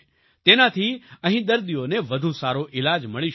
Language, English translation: Gujarati, With this, patients will be able to get better treatment here